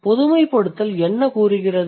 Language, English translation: Tamil, So, what does this generalization say